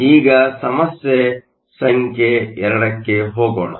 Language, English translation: Kannada, Let us now go to problem number 2